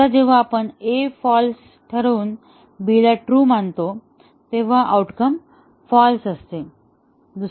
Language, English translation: Marathi, Now, if we keep A as true and B as false, the outcome is false